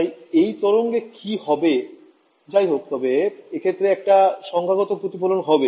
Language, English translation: Bengali, So, what happens to this wave, anyway this reflected there will be a numerical reflection right